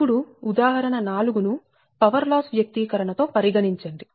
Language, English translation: Telugu, we will take the example four, right, with power loss expression